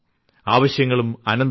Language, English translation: Malayalam, Life is big, needs are endless